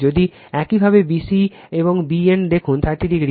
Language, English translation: Bengali, If you look bc and bn, 30 degree